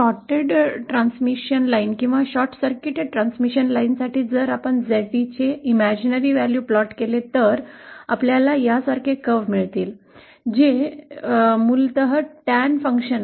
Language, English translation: Marathi, For a shorted transmission line or a short circuited transmission line, if we plot the imaginary value of ZD and we get a curve like this, which is basically the Tan function